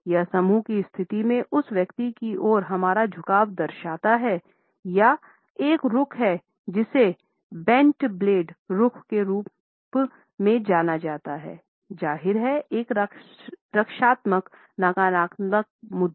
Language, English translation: Hindi, It shows our leanings towards that individual in a group position; this is a stance which is also known as the bent blade stance is; obviously, a defensive a negative posture